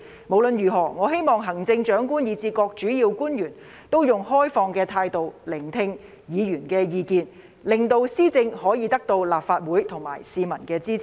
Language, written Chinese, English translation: Cantonese, 無論如何，我希望行政長官以至各主要官員，以開放態度聆聽議員的意見，令施政可以得到立法會和市民的支持。, In any case I hope that the Chief Executive and all the principal officials will listen to Members views with an open mind so that the implementation of policies can have the support of the Legislative Council and the public